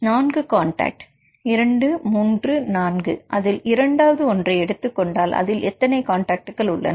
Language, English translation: Tamil, Four contacts 1 2 3 4 if you take second one right how many contacts in this case